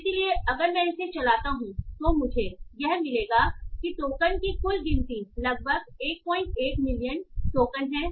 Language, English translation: Hindi, So if I run this, I will get the total token count is around 1